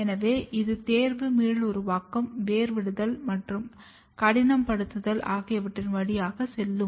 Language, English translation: Tamil, So, it will go through the process of selection, then regeneration, then rooting and further hardening